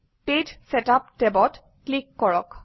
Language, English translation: Assamese, Click the Page Setup tab